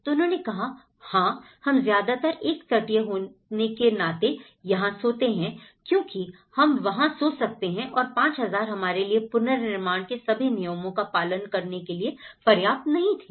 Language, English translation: Hindi, So, then they said, yeah we mostly sleep here being a coastal area we can sleep there because that 5000 was not sufficient for us to keep all the rules